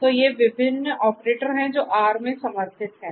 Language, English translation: Hindi, So, these are these different operators that are supported in R